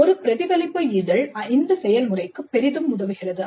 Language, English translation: Tamil, And a reflective journal helps in this process greatly